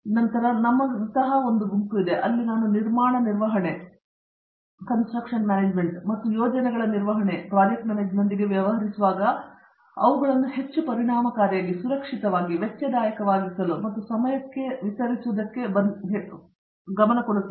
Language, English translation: Kannada, Then we have a group such as ours, where I come from which deals with construction management and management of projects and to make them more efficient, safer, cost effective and delivered on time